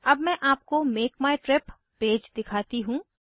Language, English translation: Hindi, Let me show you the Make my trip page